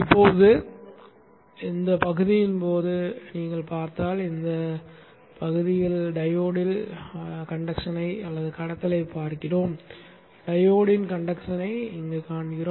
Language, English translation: Tamil, Now if you see only during this portion we see conduction in the diode